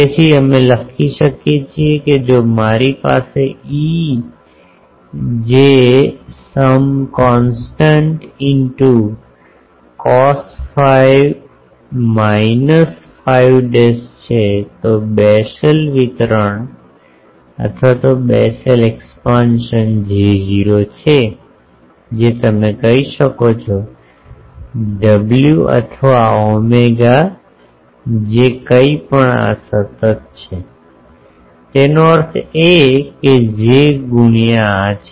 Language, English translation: Gujarati, So, we can write if I have e j some constant into cos phi minus phi dash, the Bessel expansion is J not that w you can say or omega whatever this is a constant; that means, j into these